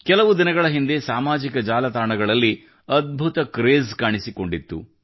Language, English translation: Kannada, A few days ago an awesome craze appeared on social media